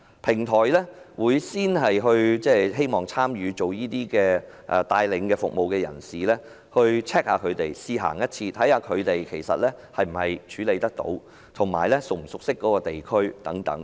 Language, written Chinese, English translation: Cantonese, 平台首先會要求參與提供導遊服務的人試行一次路線，看看他們能否處理，以及是否熟悉該區等。, People providing tour - guiding services are required to take a trial run to see if they can manage and if they are familiar with the districts concerned